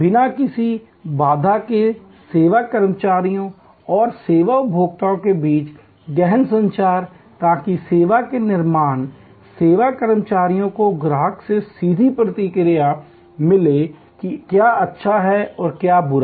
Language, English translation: Hindi, Intensive communication between service employees and service consumers without any barrier, so that the service creators, the service employees get a direct feedback from the customers about, what is good and what is bad